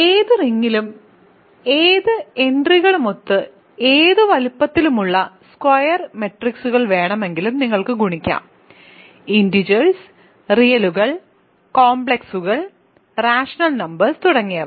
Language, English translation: Malayalam, You can multiply you can take any size square matrices with any entries in any ring in fact, is a integers, reals, complexes, rational numbers and so on